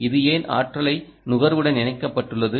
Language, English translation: Tamil, why is this connected to the ah energy consumption